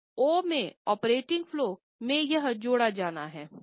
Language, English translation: Hindi, So, in O, that is in the operating flows it is going to be added